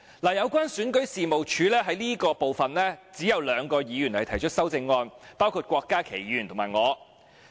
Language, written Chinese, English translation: Cantonese, 有關選舉事務處這部分，只有兩位議員提出修正案，包括郭家麒議員和我。, In regard to the Registration and Electoral Office only two Members have proposed amendments namely Dr KWOK Ka - ki and me